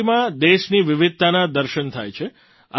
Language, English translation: Gujarati, The diversity of our country is visible in Rangoli